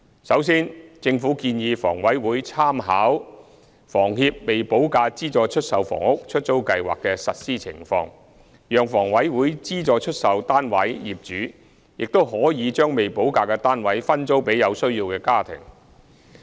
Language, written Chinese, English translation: Cantonese, 首先，政府建議房委會參考房協"未補價資助出售房屋——出租計劃"的實施情況，考慮加入計劃讓房委會資助出售單位業主亦可將未補價的單位分租給有需要家庭。, First the Government advises HA to make reference to the operational experience of the Letting Scheme for Subsidized Sale Developments with Premium Unpaid of HKHS and consider joining the scheme to allow owners of HAs subsidized sale flats with premium unpaid to sublet their flats to needy families